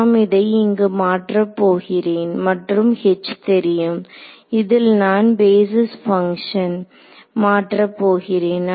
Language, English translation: Tamil, So, I will just substituted over there and H is the unknown which in which I will replace the basis functions